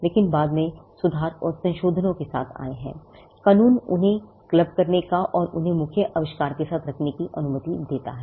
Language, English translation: Hindi, Because you came up with improvements and modifications in at a later point in time, law allows you to club them and have them together with the main invention